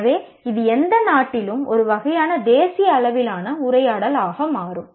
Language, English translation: Tamil, So, this becomes a kind of a national level dialogue in any country